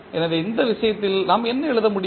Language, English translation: Tamil, So, what we can write